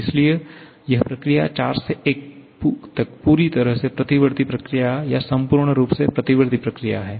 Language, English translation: Hindi, Therefore, this 4 to 1 is a perfectly reversible process or totally reversible process